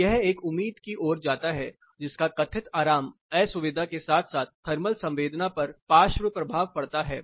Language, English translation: Hindi, So, this leads to an expectation which has a lateral impact on the perceived comfort discomfort as well as the thermal sensation